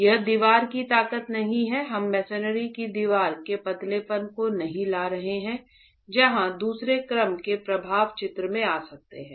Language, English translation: Hindi, We are not bringing in the slendiness of the masonry wall where second order effects can come into the picture